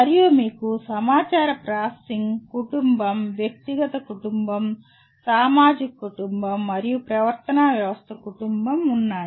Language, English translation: Telugu, And you have information processing family, a personal family, social family, and behavioral system family